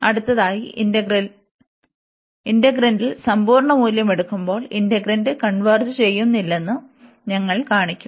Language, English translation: Malayalam, And next, we will show that when we take the absolute value over the integrant that integrant does not converge